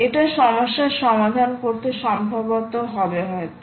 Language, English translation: Bengali, this will solve the problem perhaps